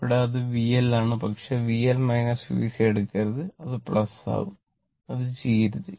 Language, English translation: Malayalam, Here it is V L, but do not take V L minus V C means; it will become plus do not do that